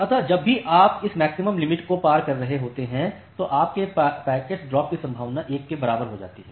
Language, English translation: Hindi, Now, whenever you are crossing this maximum threshold your packet drop probability becomes equals to 1